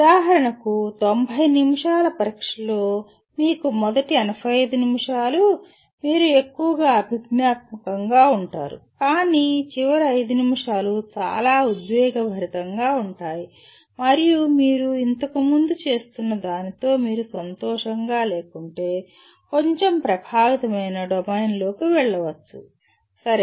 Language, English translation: Telugu, For example, in a 90 minute exam if you have maybe first 85 minutes you are dominantly cognitive but then the last 5 minutes can be quite emotional and go into a bit of affective domain if you are not happy with what you were doing earlier, okay